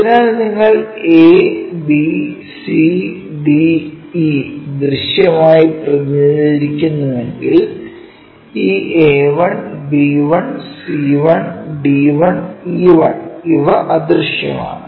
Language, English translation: Malayalam, So, if you are representing a b c d e are visible whereas, this A 1, B 1, C 1, D 1, E 1 these are invisible